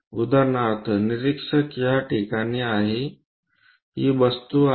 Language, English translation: Marathi, For example, observer is at this location, the object is that